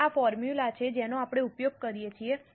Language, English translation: Gujarati, Now this is the formula we use